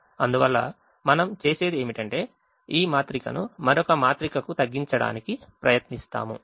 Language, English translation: Telugu, so we have now reduced the first matrix to this new matrix which is here